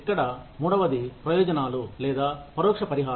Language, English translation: Telugu, The third one here is, benefits or indirect compensation